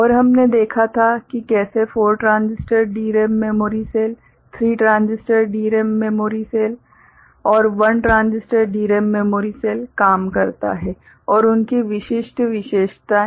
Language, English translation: Hindi, And we had seen how 4 transistor DRAM memory cell, 3 transistor memory DRAM memory cell and 1 transistor DRAM memory cell works and their specific characteristics